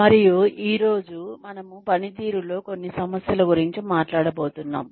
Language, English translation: Telugu, And today, we are going to talk about, some issues in performance